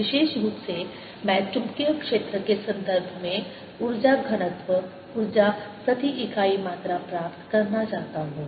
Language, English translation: Hindi, in particular, i want to get the energy density, energy per unit volume in terms of magnetic field